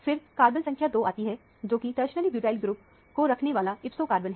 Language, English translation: Hindi, Then, comes the carbon number 2, which is the second ipso carbon bearing the tertiary butyl group